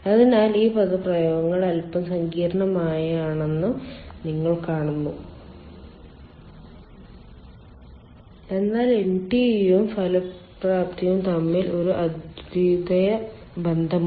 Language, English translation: Malayalam, so you see, these expressions are little bit complex, but there is a unique relationship between ntu and effectiveness